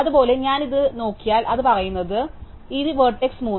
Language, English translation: Malayalam, Similarly, if I look at this it says, that this vertex is 3